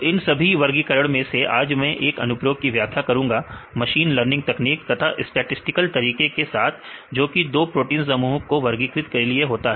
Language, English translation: Hindi, So, among all these classifications today I explain one of the applications right mainly with the statistical methods as well as machine learning techniques, to classify 2 groups of proteins right